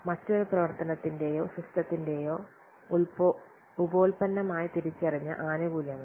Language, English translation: Malayalam, The benefits which are realized as a byproduct of another activity or system